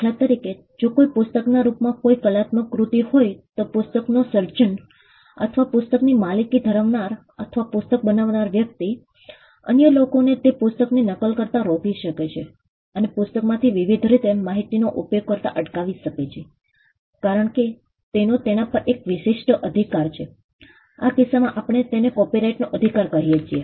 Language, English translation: Gujarati, For instance, if there is an artistic work in the form of a book, then the creator of the book or the person who owns the book or who created the book could stop other people from using that book from making copies of that book from disseminating information from the book by different ways, because he has an exclusive right over it, in this case we call that right of copyright